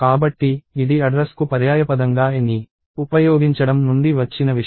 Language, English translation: Telugu, So, this is something that comes from the using a as a synonym for the address